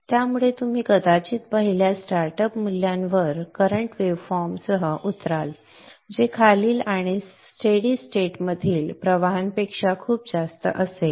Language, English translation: Marathi, So you will probably land up with current waveform at the first startup value which would be much higher than the following and the steady state currents